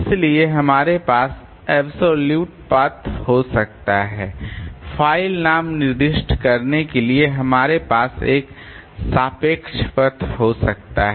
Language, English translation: Hindi, So, we can have absolute path, we can have a relative path for specifying the file name